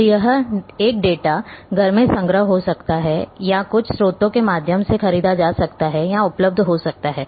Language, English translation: Hindi, So, one might be in house collection or purchased or available through some a sources